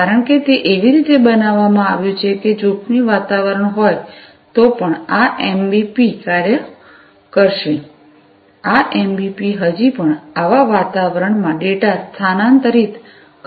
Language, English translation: Gujarati, Because, it has been built in such a manner that, this MBP will still work even if there is a hazardous environment, this MBP will still transfer data in such kind of environment